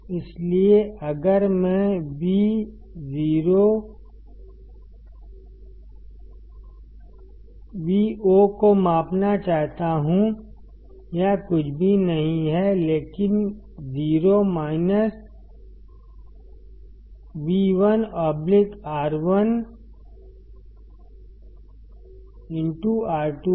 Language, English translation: Hindi, So, if I want to measure Vo; it is nothing, but 0 minus V1 by R1 into R2